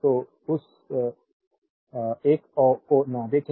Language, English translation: Hindi, So, do not see that one